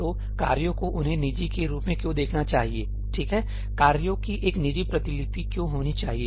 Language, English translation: Hindi, So, why should the tasks view them as private, right, why should the tasks have a private copy